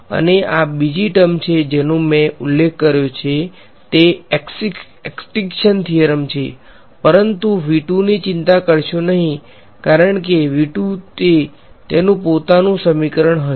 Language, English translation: Gujarati, And this is the second term is as I mentioned extinction theorem, but do not worry about V 2 because V 2 will have its own equation right